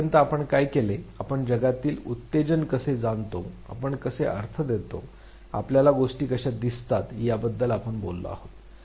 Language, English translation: Marathi, What we have done till now, we have talked about how we sense stimuli in the world, how we assign meaning, how we perceive things